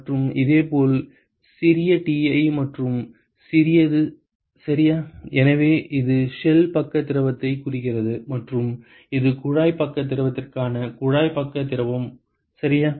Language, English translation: Tamil, And similarly small ti and small to ok; so, this stands for the shell side fluid and this is for the tube side fluid for the tube side fluid ok